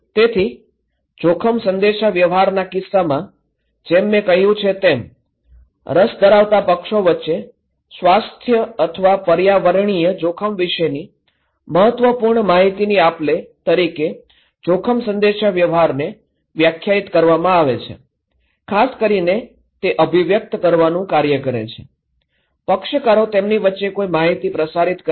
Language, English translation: Gujarati, So, in case of risk communication, as I said, risk communication is a defined as any purposeful exchange of information about health or environmental risk between interested parties, more specifically it is the act of conveying, transmitting information between parties about what